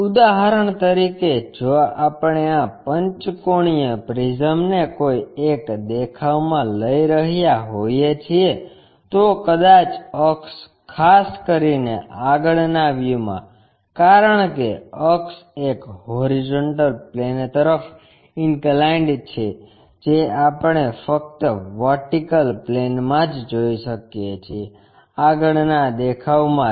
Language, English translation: Gujarati, For example, if we are picking these pentagonal prism in one of the view, may be the axis especially in the front view because axis is inclined to horizontal plane that we can observe only in the vertical plane, front view